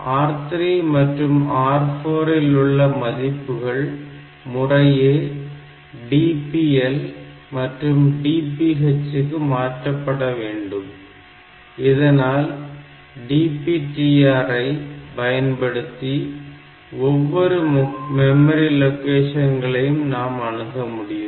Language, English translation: Tamil, So, these R 3, R 4 values they should be moved to DPL and DPH registers so that I can use that DPTR for accessing individual memory bit; individual memory locations